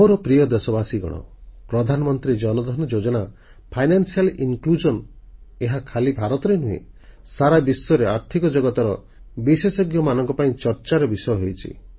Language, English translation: Odia, My dear countrymen, the Pradhan Mantri Jan DhanYojna, financial inclusion, had been a point of discussion amongst Financial Pundits, not just in India, but all over the world